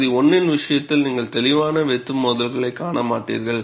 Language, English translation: Tamil, In the case of region 1, you will not see clear cut striations